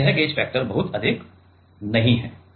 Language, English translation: Hindi, So, it gauge factor is not very high ok